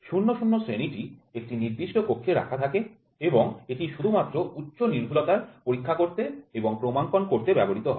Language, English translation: Bengali, Grade 00 is kept in the standards room and is used for inspection and calibration of high precision only